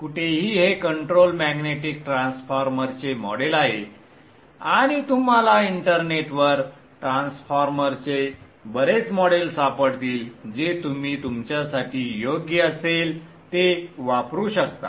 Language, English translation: Marathi, Anyway, this is the model of an electromagnetic transformer and you will find many models of transformers in the internet